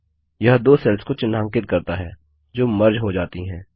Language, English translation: Hindi, This highlights the two cells that are to be merged